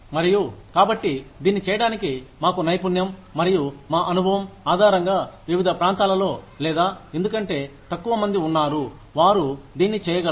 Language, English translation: Telugu, And, so, in order to do that, based on our expertise, and our experience, in different areas or because, there are fewer people, who can do this